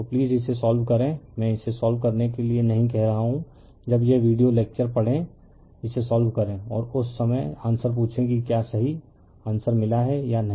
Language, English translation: Hindi, So, you please solve it answers I am not telling you solve it, when you read this video lecture you solve it and you are what you call and at the time you ask the answer whether you have got the correct answer or not will